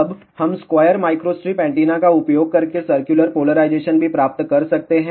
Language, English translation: Hindi, Now, we can also obtain circular polarization using square microstrip antenna